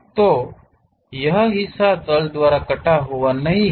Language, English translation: Hindi, So, this part is not sliced by the plane